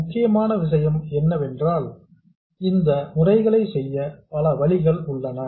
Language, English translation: Tamil, The point is there are many ways to do these things